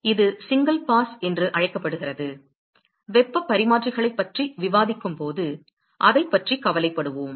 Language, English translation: Tamil, So, this is just called as single pass, we will worry about all that when we discuss heat exchangers